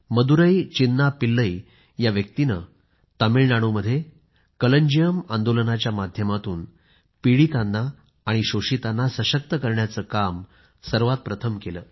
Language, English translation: Marathi, Madurai Chinna Pillai is the same person who at first tried to empower the downtrodden and the exploited through the Kalanjiyam movement in Tamil Nadu and initiated community based microfinancing